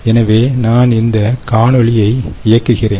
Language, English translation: Tamil, ok, so i will just run this video